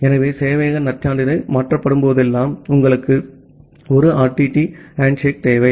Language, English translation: Tamil, So, whenever the server credential gets changed, you require a 1 RTT handshake